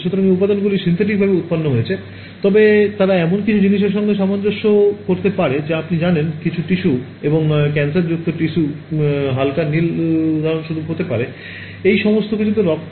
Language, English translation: Bengali, So, those components these are synthetically generated, but they could correspond to something you know some fact tissue and cancerous tissue the light blue could be for example, blood all of these things